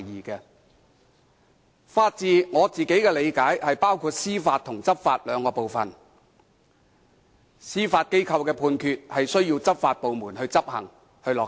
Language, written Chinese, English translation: Cantonese, 據我理解，法治包括司法和執法兩部分，司法機構的判決需要執法部門執行和落實。, As far as I understand it the rule of law consists of administration of justice and enforcement of law . The Judgements made by the Judiciary are enforced by law enforcement agencies . The Police are law enforcers